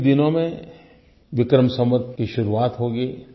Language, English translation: Hindi, In a few days from now, the new year of Vikram Samvat will begin